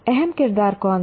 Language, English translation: Hindi, Who was the key character